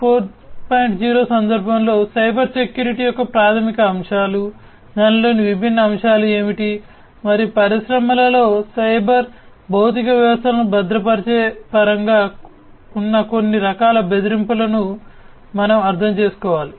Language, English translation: Telugu, 0 we need to understand the basic concepts of Cybersecurity, what are the different elements of it, and some of the different types of threats that are there in terms of securing the cyber physical systems in the industries